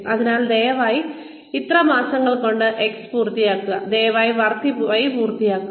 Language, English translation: Malayalam, So, please finish X in so many months, please finish Y in so many months